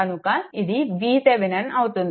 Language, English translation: Telugu, So, this is your V Thevenin